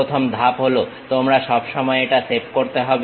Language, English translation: Bengali, The first step is you always have to save it